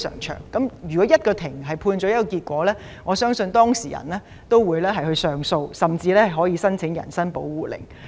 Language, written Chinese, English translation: Cantonese, 當法庭作出判決後，相信當事人會提出上訴，甚至申請人身保護令。, After the court has given a judgment it is believed that the parties will lodge an appeal and even apply for habeas corpus